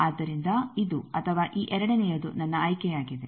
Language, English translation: Kannada, So, either this or this second 1 is my choice